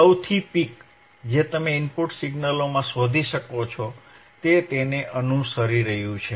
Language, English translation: Gujarati, tThe highest peak that you can find in the input signal, it is following it